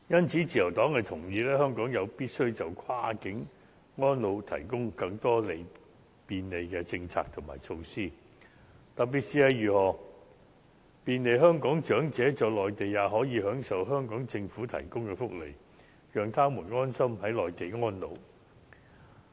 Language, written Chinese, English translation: Cantonese, 自由黨同意，香港有必要就跨境安老提供更多便利的政策和措施，特別是要便利香港長者在內地享受香港政府提供的福利，讓他們安心在內地安老。, The Liberal Party agrees it is necessary for Hong Kong to provide more convenience in terms of policy and measure for cross - boundary elderly care and in particular to facilitate Hong Kong elderly persons residing on the Mainland in enjoying Hong Kong Government - funded welfare provision while so that they can spend their twilight years there contentedly